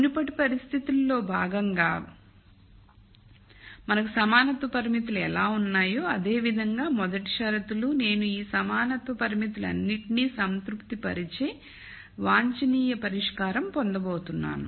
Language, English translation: Telugu, That is the first set of conditions then much like how we had the constraints equality constraints also as part of conditions in the previous case, I am going to have the optimum solution satisfy all of this equality constraints